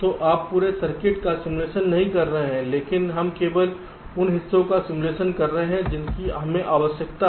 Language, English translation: Hindi, right, so you are not simulating the whole circuit, but we are simulating only those parts which are required